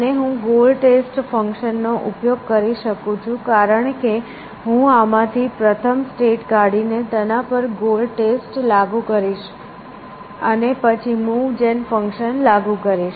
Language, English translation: Gujarati, And I can use the same goal test function, because I will extract the first state from this, and apply the goal test to that, and then apply the move gen function that is essentially